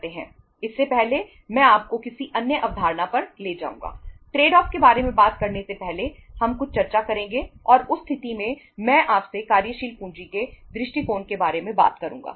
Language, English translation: Hindi, We will discuss something before say talking about the trade off and in that case I will talk to you about the approaches of working capital